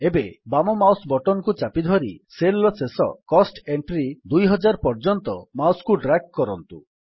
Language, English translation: Odia, Now holding down the left mouse button, drag the mouse till the end of the cell which contains the cost entry, 2000